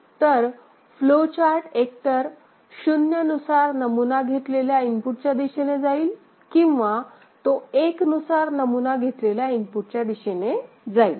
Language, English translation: Marathi, So, the flow chart will move either in the direction of input sampled as 0 or it will go in the direction of input sampled as 1